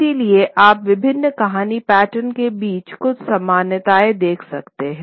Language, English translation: Hindi, So, you would see certain similarities between various story patterns